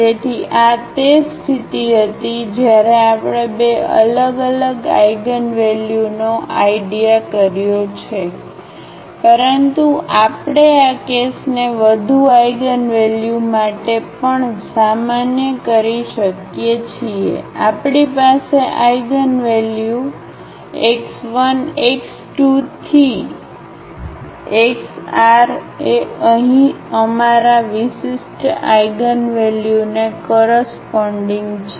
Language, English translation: Gujarati, So, this was the case when we have considered two distinct eigenvalues, but we can also generalize this case for more eigenvalues for instance here, we have eigenvalues x 1, x 2, x 3, x r are corresponding to our distinct eigenvalues here